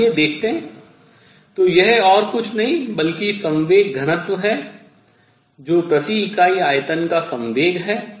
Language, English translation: Hindi, Let us see that; so, this is nothing, but momentum density that is momentum per unit volume per unit volume